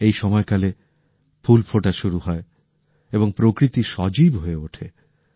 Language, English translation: Bengali, At this very time, flowers start blooming and nature comes alive